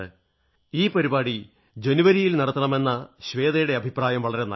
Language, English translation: Malayalam, And Shweta is right that I should conduct it in the month of January